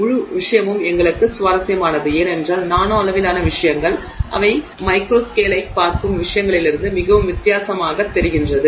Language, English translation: Tamil, The whole subject is interesting to us only because things at the nanoscale look very different from what they do look at the macro scale